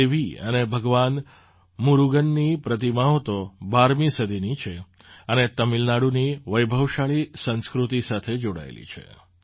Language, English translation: Gujarati, The idols of Devi and Lord Murugan date back to the 12th century and are associated with the rich culture of Tamil Nadu